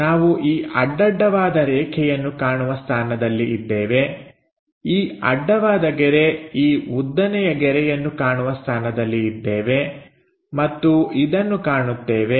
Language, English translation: Kannada, We will be in a position to see this horizontal line, this horizontal line, this vertical also we will be in a position to see and this one